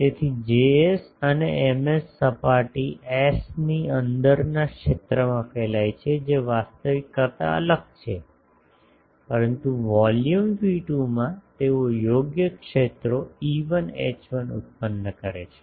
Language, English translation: Gujarati, So, Js and Ms radiate field inside the surface S that is different from actual, but in the volume V2 they produce the correct fields E1 H1